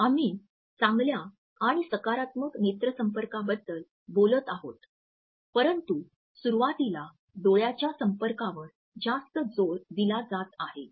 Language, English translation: Marathi, We have been talking about the significance of good and positive eye contact, but a too much emphasis on eye contact during initial contact etcetera